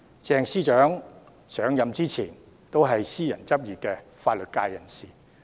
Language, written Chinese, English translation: Cantonese, 鄭司長上任前是私人執業的法律界人士。, Secretary CHENG was a legal practitioner in private practice before assuming the current position